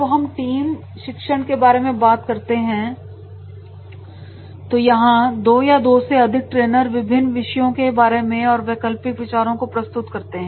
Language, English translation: Hindi, When we talk about the team teaching here two are more trainers present, different topics are alternative views of the same topic